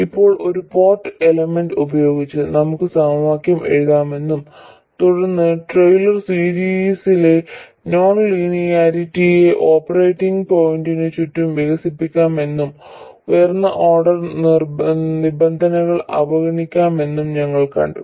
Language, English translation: Malayalam, Now, with one port elements, we have seen that we could write the equations, then expand the non linearities in a Taylor series around the operating point, neglect higher order terms and so on